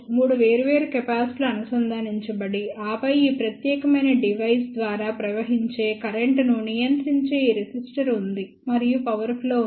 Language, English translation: Telugu, 3 different capacitors are connected and then, there is this resistor which controls the current flowing through this particular device and there is a power supply